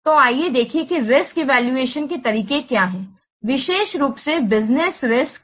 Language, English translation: Hindi, So let's see what are the risk evaluation methods, particularly business risks